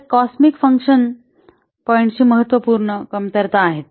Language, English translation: Marathi, So these are the important drawbacks of cosmic function points